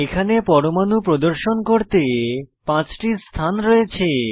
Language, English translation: Bengali, Here we have 5 positions to display atoms